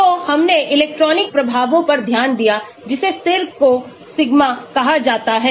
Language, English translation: Hindi, So, we looked at electronic effects the constant is called as the sigma